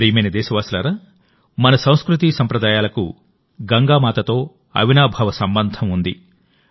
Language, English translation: Telugu, My dear countrymen, our tradition and culture have an unbreakable connection with Ma Ganga